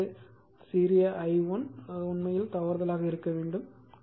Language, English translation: Tamil, So, it is small i1 right small i1 you will get this